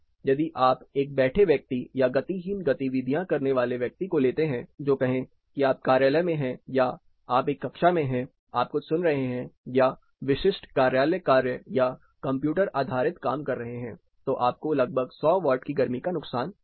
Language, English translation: Hindi, If you take a sitting person doing sedentary activities, say you are in office or you are in a classroom you are listening to something or doing typical office work computer based work, you will have a heat loss of around 100 watts